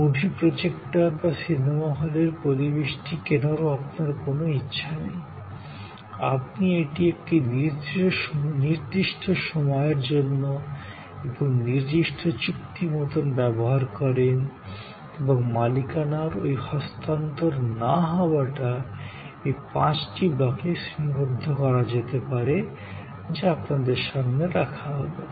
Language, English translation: Bengali, You have no intention of buying movie projectors or the movie hall ambience, you use it for a certain time and a certain contractual conditions and this non transfer of ownership, which can be categorized in these five blocks that you see in front of you